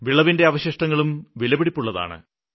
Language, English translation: Malayalam, The remains of the crop are themselves very valuable